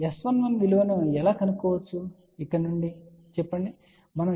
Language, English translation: Telugu, So, let us say from here how we can find the value of S 11